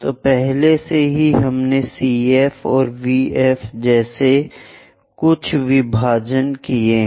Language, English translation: Hindi, So, already we have made some division like CV and VF